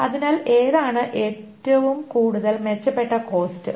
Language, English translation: Malayalam, So which one is a better cost